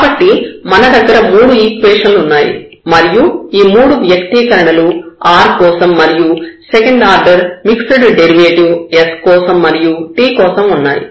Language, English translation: Telugu, So, we have 3 equations now, this is for 3 expressions, so here for the r and then we have the s the second order derivative the mixed derivative and then we have the second order derivative with respect to t